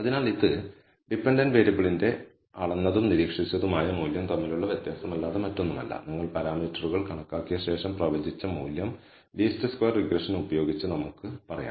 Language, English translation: Malayalam, So, this is nothing but the difference between the measured, observed value of the dependent variable minus the predicted value after you have estimated the parameters, let us say using least squares regression